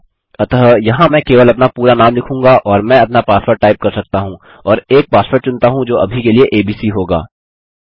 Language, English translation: Hindi, So here I will just type my full name and I can type my username and choose a password which will be abc for now